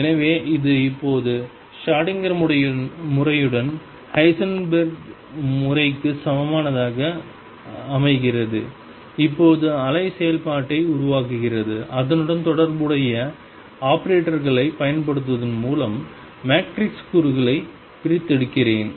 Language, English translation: Tamil, So, this now makes a equivalence of the Heisenberg picture with Schrödinger picture where now form the wave function I extract the matrix elements by applying the corresponding operators does it make sense